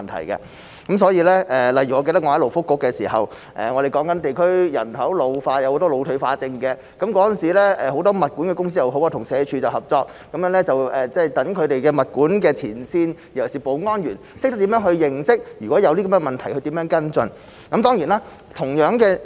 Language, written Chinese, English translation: Cantonese, 例如，我記得我在勞工及福利局的時候，我們討論地區人口老化，有很多腦退化症患者，當時很多物管公司與社會福利署合作，讓物管前線人員，尤其是保安員，懂得如果遇到這些問題，如何去跟進。, For example I remember that when I was in the Labour and Welfare Bureau we discussed the ageing population in the district and there were a lot of dementia patients . At that time many property management companies worked with the Social Welfare Department so that the frontline property management staff especially the security personnel knew how to follow up if they encountered these problems